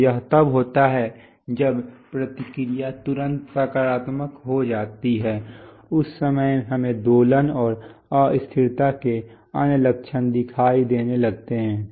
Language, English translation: Hindi, So it is when feedback turns positive immediately at that time we start having oscillations and other symptoms of instability